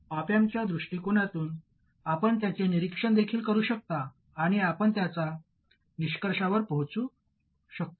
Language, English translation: Marathi, You can also examine it from the viewpoint of the op amp and you will reach exactly the same conclusion